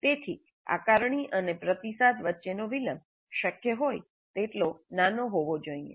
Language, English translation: Gujarati, So the delay between assessment and feedback must be as small as possible